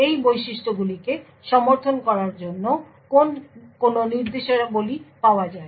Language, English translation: Bengali, What are the instructions are available for supporting these features